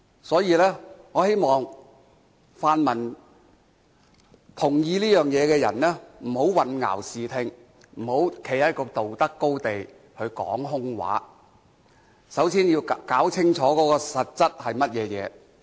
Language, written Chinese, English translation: Cantonese, 所以，我希望泛民同意這一點，不要混淆視聽，不要站在道德高地說空話，首先要弄清楚實質的情況。, I thus hope that pan - democratic Members can recognize this point and first get all the facts straight rather than confounding right and wrong and giving empty talks on the moral high ground